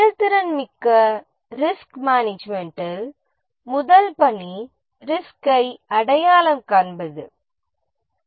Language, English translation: Tamil, In the proactive risk management, the first task is risk identification